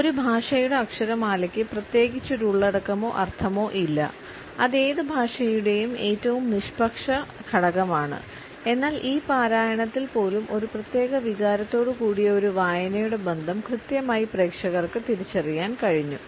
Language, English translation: Malayalam, Alphabet of a language does not convey any content at all it is a most neutral component of any language, but even in this recitation audience were able to almost correctly pinpoint the association of a reading with a particular emotion